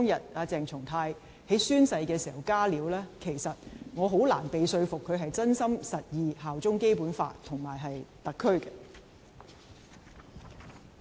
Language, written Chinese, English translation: Cantonese, 對於鄭松泰在宣誓當天"加料"，我很難被說服，他是真心實意效忠《基本法》和特區。, As regards the additions made by CHENG Chung - tai on the day of oath - taking I find it difficult to be convinced that he sincerely and genuinely upholds the Basic Law and swears allegiance to SAR